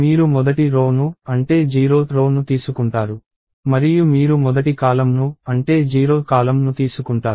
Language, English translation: Telugu, You take the first row, that is, the 0 th and you take the first column, that is, the 0 th column